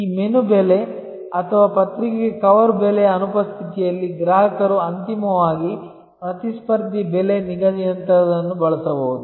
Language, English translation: Kannada, In the absence of this menu price or cover price of the magazine, customer may use something like a competitor pricing ultimately